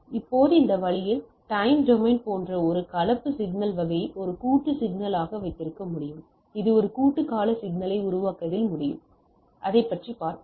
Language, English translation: Tamil, Now this way, I can have a composite signal type of things like time domain as composite signal like it may generate end up in making a composite periodic signal right, so we will see that